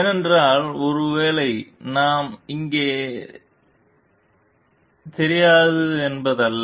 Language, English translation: Tamil, Because it is not that maybe we don t know here